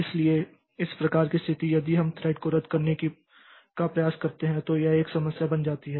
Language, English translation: Hindi, So, this type of situation so if we try to cancel a thread so it becomes a problem